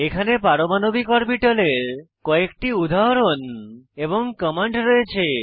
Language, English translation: Bengali, Here are few more examples of atomic orbitals and the corresponding script commands